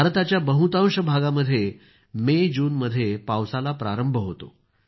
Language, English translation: Marathi, In most parts of India, rainfall begins in MayJune